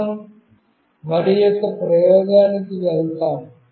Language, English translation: Telugu, Let us go to another experiment